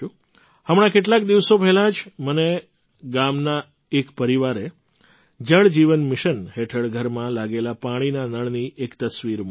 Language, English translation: Gujarati, Just a few days ago, a family from a village sent me a photo of the water tap installed in their house under the 'Jal Jeevan Mission'